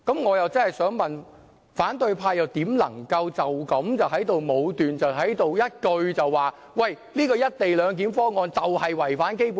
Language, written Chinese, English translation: Cantonese, 我真的想問，反對派怎能夠如此武斷，不停的說"一地兩檢"的方案是違反《基本法》？, I truly want to ask how the opposition camp can be so arbitrary in keep on saying that the co - location arrangement is in contravention of the Basic Law